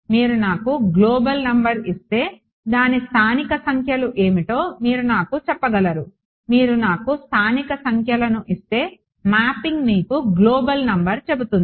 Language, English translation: Telugu, If you give me the global number you should be able to go and tell me what are the local numbers similarly if you give me the local numbers there is a mapping that will go and tell you the global number